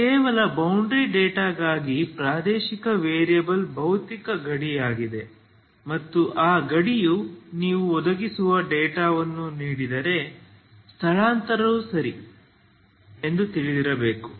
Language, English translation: Kannada, So just for the boundary data that is why for the spatial variable that is actually physical boundary and that boundary you provide a data you should, the displacement should be known ok